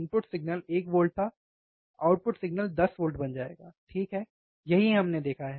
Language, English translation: Hindi, Input signal was 1 volt, output signal will become 10 volts, right, this what we have seen